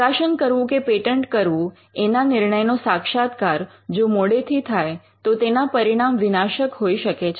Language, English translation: Gujarati, Late realization of this dilemma whether to publish or to patent could lead to disastrous consequences